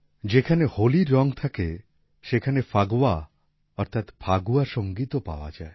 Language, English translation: Bengali, Where there are colors of Holi, there is also the music of Phagwa that is Phagua